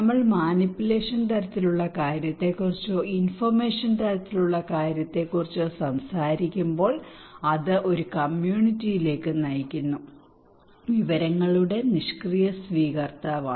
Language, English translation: Malayalam, When we are talking about manipulation kind of thing or only informations kind of thing okay it leads to that community is a passive recipient of informations